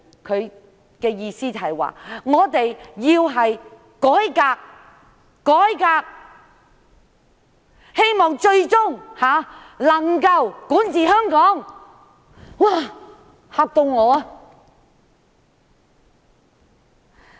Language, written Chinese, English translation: Cantonese, 他的意思是，他們要改革，希望最終能夠管治香港。, He meant that they wanted a reform and they wanted to rule Hong Kong eventually